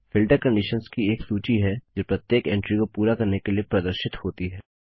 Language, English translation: Hindi, A filter is a list of conditions that each entry has to meet in order to be displayed